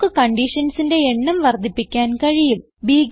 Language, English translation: Malayalam, We can also increase the number of conditions